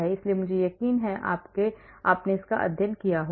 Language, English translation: Hindi, so I am sure you must have studied